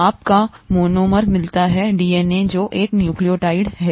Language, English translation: Hindi, You get the monomer of DNA which is a nucleotide